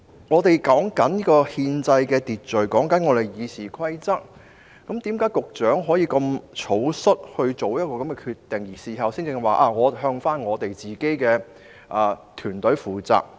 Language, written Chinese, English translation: Cantonese, 我們正談論憲制秩序和《議事規則》，為何局長可以如此草率作出這個決定，並在事後才說會向自己的團隊負責？, We are now exactly discussing constitutional order and the Rules of Procedure . How could the Secretary make this decision so hastily and make himself accountable to his team only afterwards?